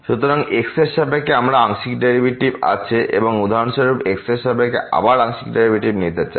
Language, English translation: Bengali, So, we have the partial derivative with respect to x and for example, we want to take again the partial derivative with respect to